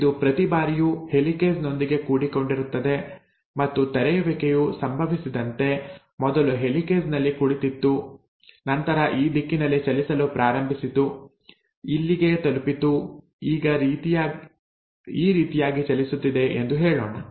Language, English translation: Kannada, It kinds of tags along every time with a helicase, and as the unwinding happens, this the, let us say, earlier the helicase was sitting here and then started moving in this direction, reached here, now it has continued to move like that